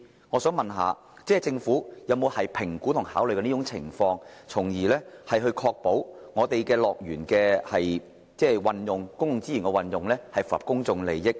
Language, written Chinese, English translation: Cantonese, 我想問政府會否評估及考慮這個情況，確保樂園運用公共資源時，符合公眾利益原則。, I would like to ask the Government whether it will assess and consider this situation to ensure that HKDL adheres to the principle of public interest in using public resources